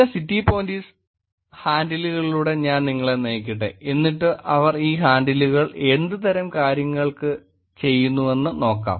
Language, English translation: Malayalam, Let me walk you through this some city police handles and then look at what kind of things that they do on these handles